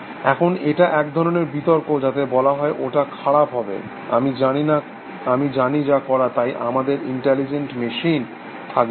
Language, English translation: Bengali, Now, this is kind of round about argument which says, it would be bad for, I do not know who, so we cannot have intelligent machines essentially